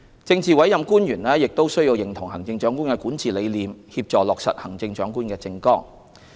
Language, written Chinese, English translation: Cantonese, 政治委任官員亦須認同行政長官的管治理念，協助落實行政長官的政綱。, Politically appointed officials must also share the Chief Executives philosophy of governance and work with the Chief Executive to implement hisher manifesto